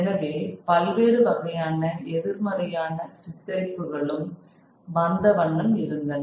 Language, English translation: Tamil, So, various kinds of negative images that were coming about